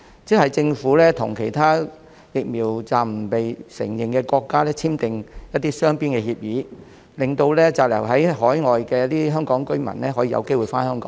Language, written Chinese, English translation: Cantonese, 即是政府與其他疫苗紀錄暫不被承認的國家簽訂雙邊協議，令滯留在海外的香港居民有機會回香港。, That is the Government would sign bilateral agreements with other countries whose vaccination records are not yet recognized so that those Hong Kong residents who are stranded overseas would have the opportunity to return to Hong Kong